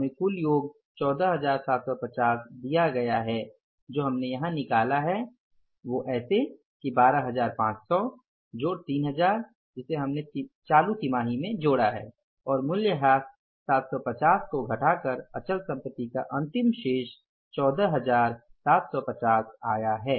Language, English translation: Hindi, We are given some total is 14,750 which we worked out here that is 12,500 plus 3,000 which we acquired in the current quarter minus 750 is the depreciation